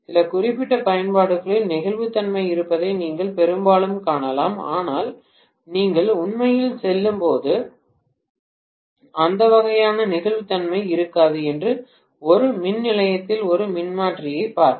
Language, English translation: Tamil, Most of the times you might find that flexibility is there in certain specific applications but that kind of flexibility may not be there when you go to actually, go and see a transformer in a substation